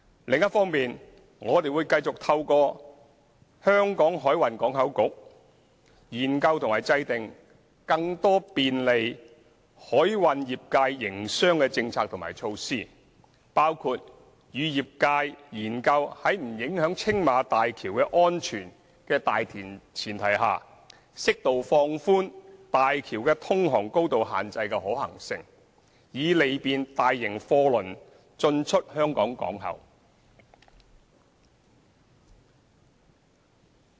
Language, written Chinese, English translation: Cantonese, 另一方面，我們會繼續透過香港海運港口局研究和制訂更多便利海運業界營商的政策和措施，包括與業界研究，在不影響青馬大橋的安全的大前提下，適度放寬大橋的通航高度限制的可行性，以利便大型貨輪進出香港港口。, On the other hand we will continue to explore and formulate through HKMPB more policies and measures facilitating the business operation of the maritime industry . For instance we will explore with the industry the feasibility of moderately relaxing the navigation height limit of the Tsing Ma Bridge without prejudice to the safety of the bridge so as to allow large cargo carriers to enter and leave Hong Kong ports